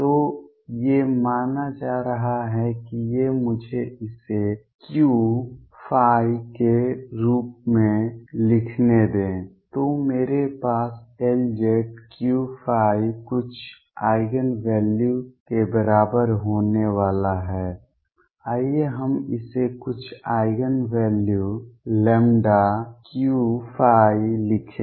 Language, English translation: Hindi, So, these are going to be suppose these are let me write this as Q phi then I am going to have L z Q phi equals some Eigen value let us write it some Eigen value lambda Q phi